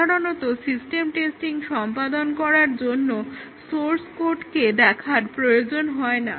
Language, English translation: Bengali, Normally, do not have to look through the source code to carry out system testing